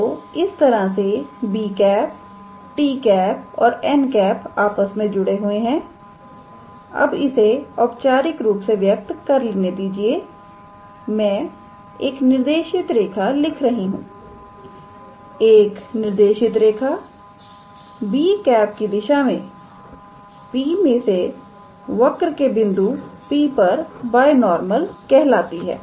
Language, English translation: Hindi, So, this is how b, t and n are connected, now to define it formally I write a directed line a directed line through P in the direction of b is called a binormal to the curve at the point P; So, we may call b as a unit binormal